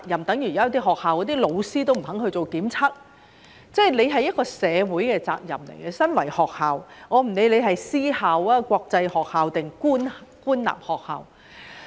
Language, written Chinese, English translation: Cantonese, 等於有些學校的老師也不肯做檢測——這是身為學校的一個社會責任，不管那是私校、國際學校還是官立學校。, In the case of teachers who refuse to undergo testing it is a social responsibility of the school whether it be a private school international school or government school to require them to do so